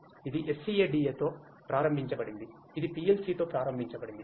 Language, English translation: Telugu, It is enabled with SCADA, it is enabled with PLC